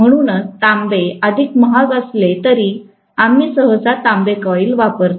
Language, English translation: Marathi, That is why we normally use copper coils although copper is more expensive